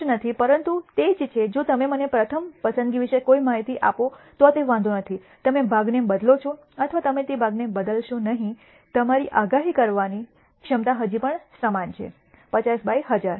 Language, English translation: Gujarati, Non obvious, but it is the same if you do not give me any information about the first pick it does not matter, whether you replace the part or you do not replace the part your predictability your ability to predict still remains the same 50 by 1,000